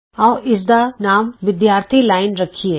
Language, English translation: Punjabi, Let us name this the Students line